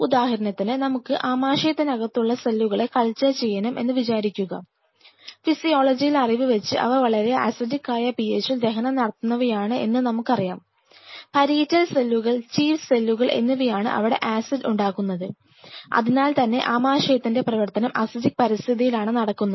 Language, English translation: Malayalam, See for example, we have to culture the cells of the stomach which digest the food at a very acidic PH of course, from our knowledge of physiology, we know that that this acid production by the cells parietal cells chief cells which have present in the just for those taking this example in the stomach which is which functions at a very acidic PH